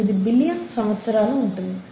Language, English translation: Telugu, 5 to 4 billion years